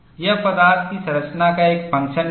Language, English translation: Hindi, It is also a function of the composition of the material